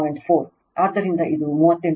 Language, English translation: Kannada, 4, so it is 38